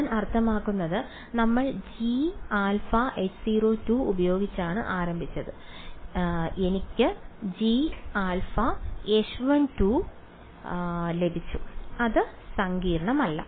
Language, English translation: Malayalam, So, not I mean we started with g which was H 0 2 and I got grad g is H 1 2 not very complicated right ok